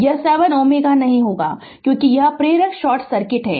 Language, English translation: Hindi, This 7 ohm will not be there because this inductor is short circuited